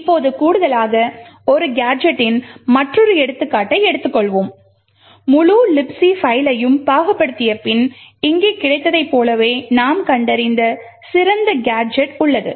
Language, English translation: Tamil, Now let us take another example of a gadget which does addition, after parsing the entire libc file the best gadget that we had found is as one showed over here